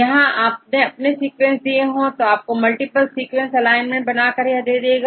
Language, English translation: Hindi, What these are your sequences, but you will auto it will create the your multiple sequence alignment right